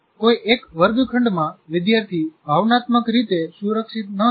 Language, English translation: Gujarati, In a particular classroom, the student may not feel emotionally secure